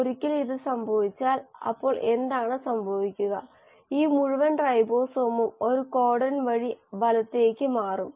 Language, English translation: Malayalam, And once this happens, so what will happen then is that this entire ribosome will shift by one codon to the right